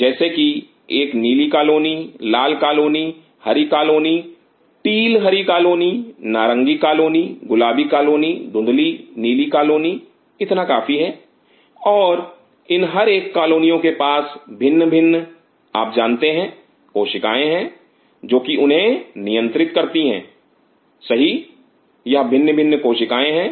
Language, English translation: Hindi, As such say a blue colony, red colony, green colony, ta green colony, orange colony, pink colony, fade blue colony this is good enough, and each one of these colonies I have different you know cells which governs them right these are the different cells